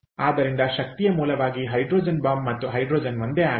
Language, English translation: Kannada, so hydrogen bomb and hydrogen as energy source is nothing in common